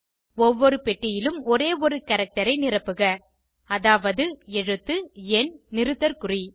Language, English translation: Tamil, In each box, fill only one character i.e (alphabet /number / punctuation sign)